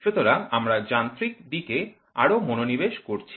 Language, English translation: Bengali, So, we are more focused towards mechanical